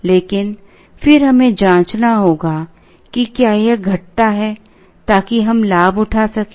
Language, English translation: Hindi, But then we have to check, whether this one decreases, so that we could avail